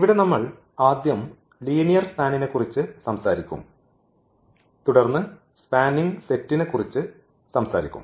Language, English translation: Malayalam, And here we will be talking about the linear span first and then will be talking about spanning set